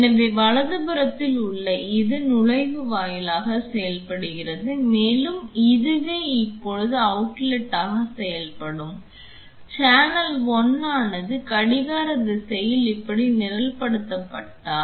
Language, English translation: Tamil, So, this on the right side behaves as the inlet and you this can be this will now behave as outlet, if channel 1 is programmed like this in the anti clockwise direction